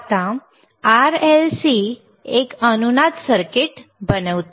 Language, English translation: Marathi, Now, RLC forms a resonating circuit